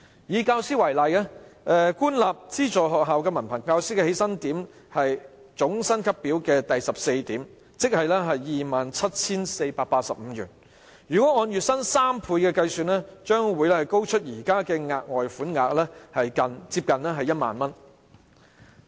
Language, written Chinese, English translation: Cantonese, 以教師為例，官立及資助學校的文憑教師起薪點是總薪級表第14點，即 27,485 元；若按月薪3倍計算，額外款項將較現時高出接近 10,000 元。, Take teachers as an example . The entry point for certificated masters in government and aided schools is Point 14 of the Master Pay Scale ie . 27,485; if calculated on the basis of three times the monthly wages the amount of further sum will be nearly 10,000 higher than the present amount